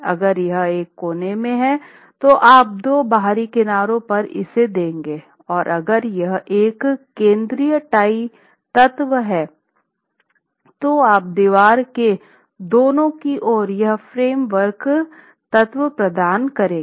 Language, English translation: Hindi, As you see in this picture, if it is a corner, then it will be two outer edges and if it is a central tie element, then on either sides of the wall you would be providing the formwork element itself